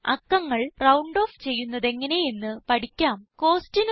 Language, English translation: Malayalam, Now, lets learn how to round off numbers